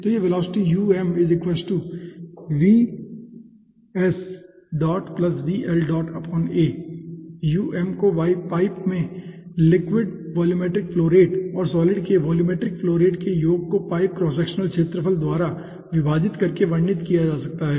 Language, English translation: Hindi, so this velocity, um, can be characterized as volumetric flow rate of solid plus volumetric flow rate of the liquid divided by the pipe cross sectional areas